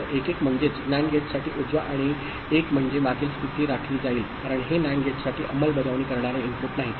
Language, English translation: Marathi, So, 1 1 means, right a for a NAND gate 1 1 means previous state will be retained because that this is non enforcing input for the NAND gate